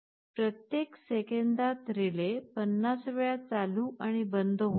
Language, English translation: Marathi, In every second the relay is switching on and off 50 times